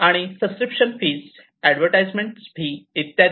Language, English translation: Marathi, And subscription fees, advertisements, etcetera